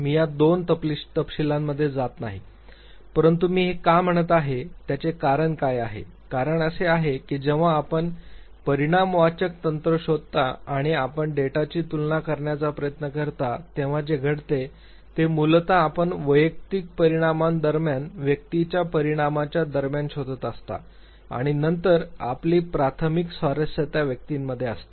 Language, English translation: Marathi, I am not going into these two details, but what is the reason why I am saying this; the reason is that usually what happens whenever you go for quantitative technique and you try to compare the data, basically you look for between individual results, between person result and then your primary interest lies within the individual